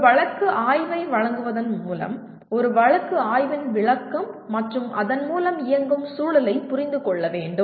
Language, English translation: Tamil, By providing a case study, a description of a case study and running through that and through that you have to understand the context